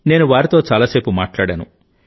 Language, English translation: Telugu, I also talked to them for a long time